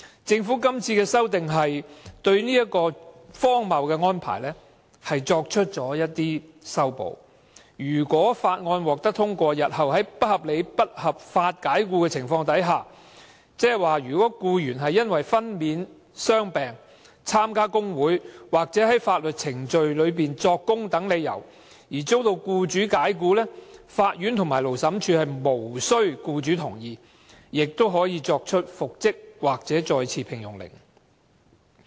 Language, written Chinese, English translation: Cantonese, 政府今次提出的《條例草案》對這荒謬安排略作修補，如果《條例草案》獲得通過，日後僱員遭不合理及不合法解僱時，即如果僱員因為分娩、傷病、參加工會或在法律程序中作供等理由而遭僱主解僱，法院和勞審處可無須僱主同意而作出復職或再次聘用的命令。, The Government now introduces the Bill to slightly revise this ridiculous arrangement . If the Bill is passed and in future if an employee is unreasonably and unlawfully dismissal for reasons of pregnancy and maternity leave injury or illness participation in trade union activities or giving evidence in a legal proceeding the court or Labour Tribunal can make an order for reinstatement or re - engagement without the agreement of the employer